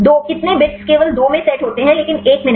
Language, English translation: Hindi, 2; how many bits set only in 2, but not in 1